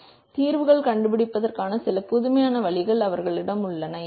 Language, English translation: Tamil, So, they have some innovating ways of finding solutions